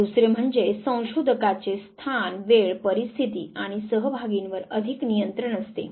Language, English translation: Marathi, And the second that the researcher has a big control over, place, time, circumstances, and participants